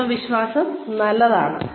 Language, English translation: Malayalam, Confidence is good